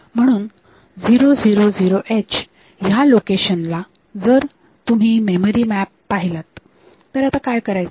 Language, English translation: Marathi, So, at the location 000 h; so, if you look into this memory map; so, what we do